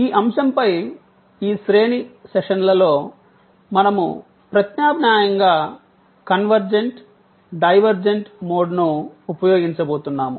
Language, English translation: Telugu, In this series of sessions on this topic, we are going to use alternately convergent, divergent mode